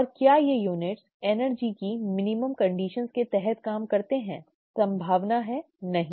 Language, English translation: Hindi, And do these units function under energy minimum conditions unlikely, right